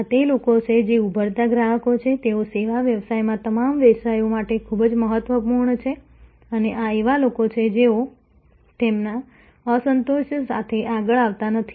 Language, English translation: Gujarati, These are the people, who are the emerging customers; they are very, very important for all businesses in services businesses and these are the people, who do not come forward with their dissatisfaction